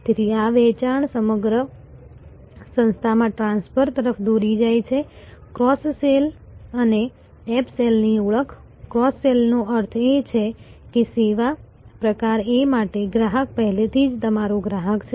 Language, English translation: Gujarati, So, this sales leads transfer across the organization, identification of cross sell and up sell, cross sell means that the customer is already your customer for service type A